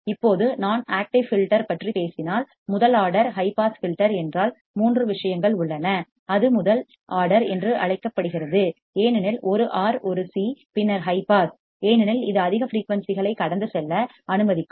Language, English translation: Tamil, Now if I talk about active filter, first order high pass filter, 3 things are, it’s called first order because 1 R, 1 C, then high pass because it will allow the high frequency to pass